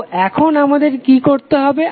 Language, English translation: Bengali, So now what we have to do